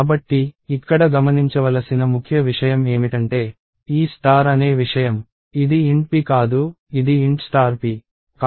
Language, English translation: Telugu, So, the key thing to note here is this thing called star, it is not int p, it is int star p (int *p)